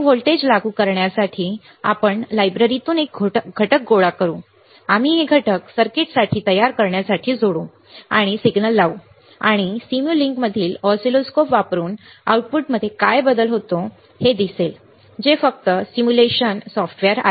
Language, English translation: Marathi, To apply voltage, you see we will gather the components from the library, we will attach this components to form a circuit we will apply a signal and you will see what is the change in output using the oscilloscope in simulink which just simulation software